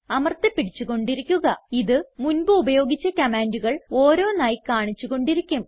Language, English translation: Malayalam, Keep pressing and it will keep scrolling through the previous commands